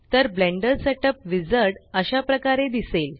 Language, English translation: Marathi, So this is what the Blender Setup Wizard looks like